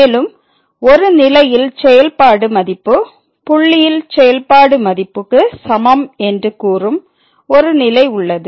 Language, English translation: Tamil, And, there is a one more condition which says that the function value at is equal to the function value at the point